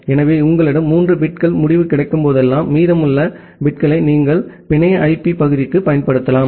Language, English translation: Tamil, So, whenever you have 3 bits result, the remaining bits you can use for the network IP part